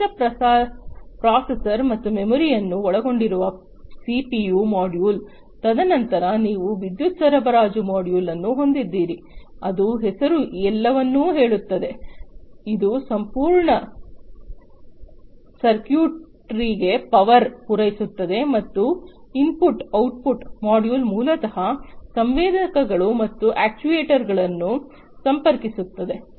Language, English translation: Kannada, The CPU module which consists of the central processor and the memory, and then you have the power supply module, which the name says it all, it supplies power to the entire circuitry, and the input output module which basically connects the sensors and the actuators